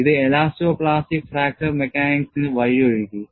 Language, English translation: Malayalam, This paved the way for elasto plastic fracture mechanics, at least approximately